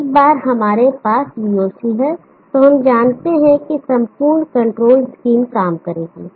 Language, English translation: Hindi, Once we have VOC then we know that the entire control scheme will work